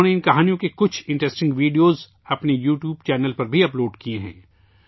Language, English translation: Urdu, She has also uploaded some interesting videos of these stories on her YouTube channel